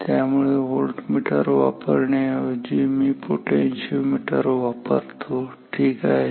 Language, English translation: Marathi, So, let me instead of having a voltmeter let me use a potentiometer ok